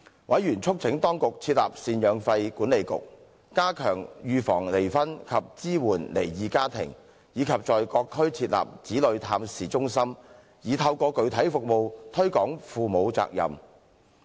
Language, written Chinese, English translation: Cantonese, 委員促請當局設立贍養費管理局、加強預防離婚及支援離異家庭，以及在各區設立子女探視中心，以透過具體服務推廣父母責任。, They urged the Government to set up a maintenance board enhance the prevention of divorce and support for divorced families and set up parent - child contact centres in various districts so as to promote parental responsibility through specific services